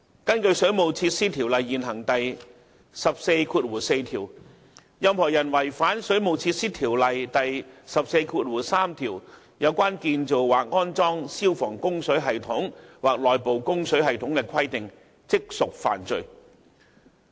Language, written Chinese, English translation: Cantonese, 根據《水務設施條例》現行第144條，任何人違反《水務設施條例》第143條有關建造或安裝消防供水系統或內部供水系統的規定，即屬犯罪。, It is an offence under the existing section 144 of WWO for any person who contravenes section 143 of WWO in respect of the construction or installation of water supply system for fire service or inside service